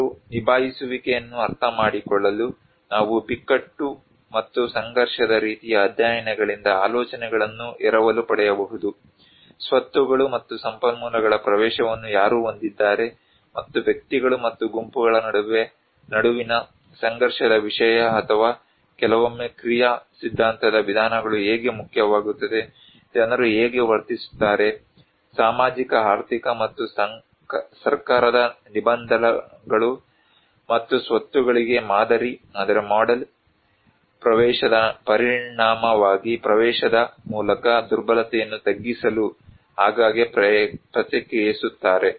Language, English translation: Kannada, Well to understand people's coping, we can also borrow the ideas from crisis and conflict kind of studies, who have the access to assets and resources and how it matter of conflict between individuals and groups or maybe sometimes action theory approaches, how people act, react frequently as a result of social economic and governmental constraints and model access to assets like a mitigation of vulnerability through access